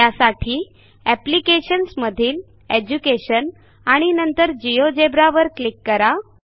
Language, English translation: Marathi, To do this let us click on applications, Education and Geogebra